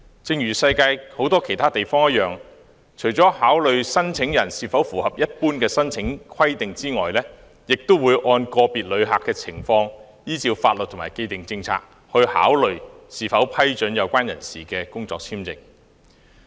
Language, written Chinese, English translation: Cantonese, 正如世界很多其他地方一樣，入境事務處除了考慮申請人是否符合一般的申請規定外，亦會按個別旅客的情況，依照法律和既定政策，考慮是否批准有關人士的工作簽證。, As in many places around the world when the Immigration Department ImmD considers whether or not to grant work visas in accordance with the laws and established policies it will look into the circumstances of each applicant apart from his compliance with the general application requirements